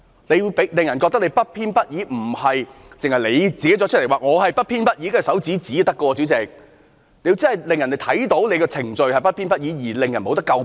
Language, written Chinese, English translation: Cantonese, 你要令人覺得你不偏不倚，不僅是你說自己不偏不倚便可以，代理主席，你要真的令人看到你的程序是不偏不倚，不能令人詬病。, You should be seen being impartial . It is not enough for you to say that you are impartial . Deputy President you should let people see that you are impartial and you have adhered to the due process